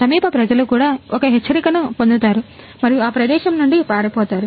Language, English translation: Telugu, So, nearby people also get an alert and also flee from the that place